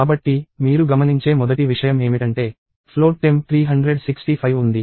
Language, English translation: Telugu, So, the first thing you will notice is that, there is float temp of 365